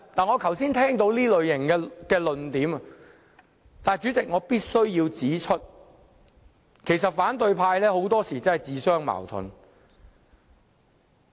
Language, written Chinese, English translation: Cantonese, 我剛才聽到這種論點，但主席，我必須指出反對派很多時也自相矛盾。, I heard such arguments earlier on but Chairman I must point out that the opposition camp often contradicts itself